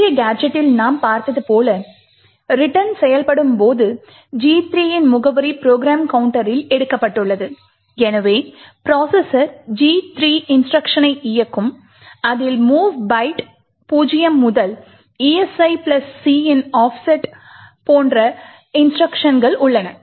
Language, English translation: Tamil, Now as we have seen in the previous gadget when the return executes, we have the address of gadget 3 taken into the program counter and therefore the processor would execute gadget 3 instructions comprising of the mov byte 0 to the offset of esi plus c